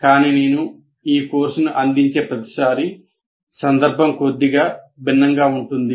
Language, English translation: Telugu, But what happens is every time I offer this course, the context slightly becomes different